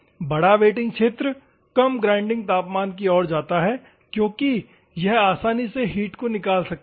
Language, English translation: Hindi, The larger wetting area leads to lower grinding temperature because it can easily take out the temperature